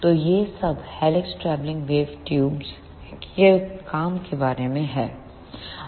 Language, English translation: Hindi, So, this is all about the working of helix travelling wave tubes